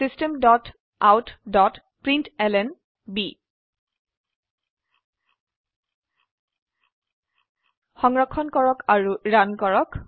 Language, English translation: Assamese, System dot out dot println Save and Run